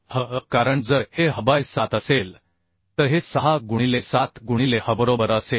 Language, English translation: Marathi, if this is h by 7, then this will be 6 into 7 into h, right